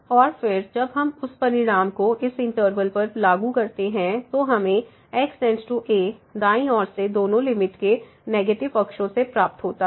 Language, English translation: Hindi, And, then when we apply that result to this interval and we will get that goes to a from the negative sides of both the limits from the right side